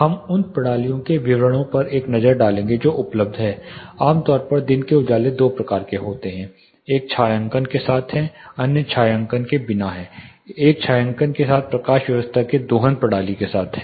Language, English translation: Hindi, we will take a look at the details of systems which are available daylight harnessing systems typically, daylight know there are two types; one is which shading other is without shading the one which shading the lighting system harnessing system which shading